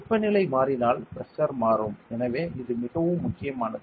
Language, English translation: Tamil, So, when temperature changes there will be a change in pressure